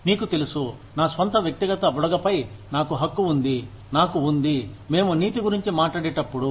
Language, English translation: Telugu, You know, I have a right to my own personal bubble, I have, when we talk about ethics